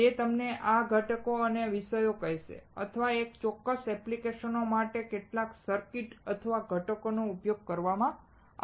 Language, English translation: Gujarati, He will tell you these ingredient or topics or some circuits or components are used for this particular applications